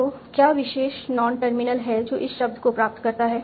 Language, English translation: Hindi, So, what is the particular non terminal that derives this term